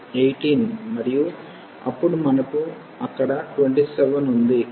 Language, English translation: Telugu, So, this is 18 and then we have a 27 there